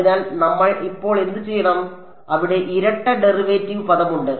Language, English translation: Malayalam, So, what do we do now, there is a double derivative term over there right